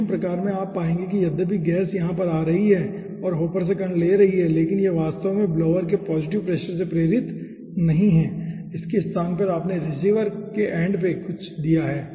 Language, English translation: Hindi, in vacuum type you will find out that though the gas is coming over here and taking the particle from the hopper, but it is not actually driven by positive pressure of, you know, blower